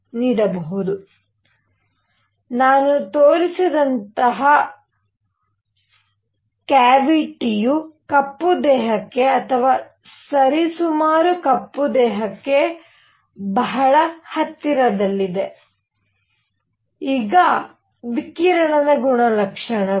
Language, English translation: Kannada, So, a cavity like the one that I have shown is something which is very very close to black body or roughly a black body; now properties of radiation